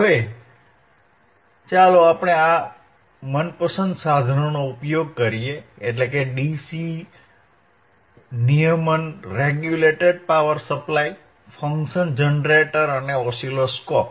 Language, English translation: Gujarati, Now, let us see using our favourite equipment, that is the DC regulated power supply in a regulated power supply, function generator and the oscilloscope